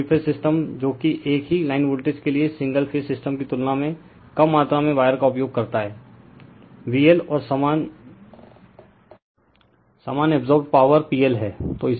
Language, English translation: Hindi, So, three phase system your what uses a lesser amount of wire than the single phase system for the same line voltage V L and the same absorbed power P L right